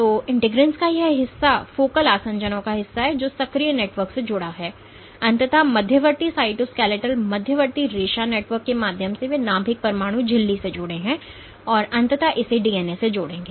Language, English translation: Hindi, So, this part of integrins also part of the focal adhesions the linked to the active network, and eventually through intermediate cytoskeletal intermediate filament networks they are connected to the nucleus nuclear membrane and that will eventually link it to the DNA